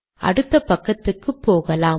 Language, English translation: Tamil, So lets go to the next page